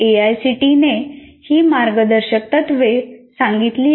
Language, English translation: Marathi, So, these are the guidelines that AICTE provides